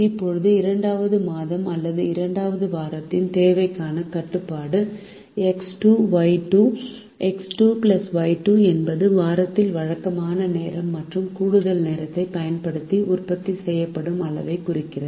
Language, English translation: Tamil, now the constraint for the demand of the second month or second week is x two plus y two represent the quantity produced using regular time and overtime in week two